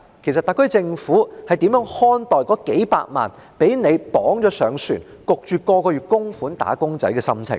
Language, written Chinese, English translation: Cantonese, 其實，特區政府如何看待那數百萬被政府捆綁在船上，每個月被強迫供款的"打工仔"的心情？, As a matter of fact does the SAR Government understand the feeling of the millions of wage earners who have been tied up to a boat by the Government and are forced to make contributions each month?